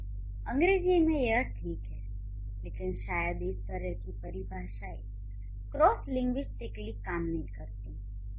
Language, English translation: Hindi, So, in English it's okay but it this kind of a definition may not work cross linguistically